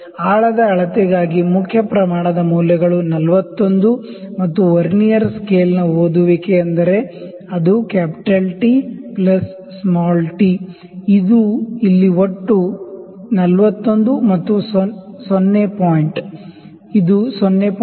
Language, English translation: Kannada, So, for the depth measurement main scale readings 41 and the Vernier scale reading is it is actually T plus t; this is total here, this is 41 plus 0 point it is 0